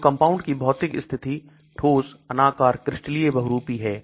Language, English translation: Hindi, So factors physical state of the compound solid amorphous, crystalline, polymorphic